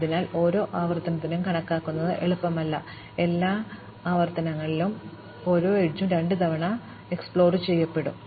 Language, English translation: Malayalam, So, while, it is not easy to count per iteration, I count across all iterations, I will explore each edge exactly twice